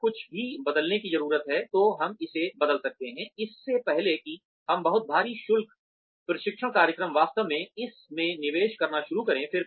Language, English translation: Hindi, If anything needs to be changed, we can change it, before we actually start investing in this, very heavy duty training program